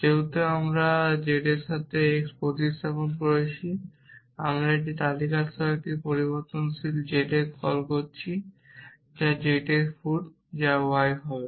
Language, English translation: Bengali, Because we have substituted x with z now, we have making a call of a variable z with a list which is feet of z which is the y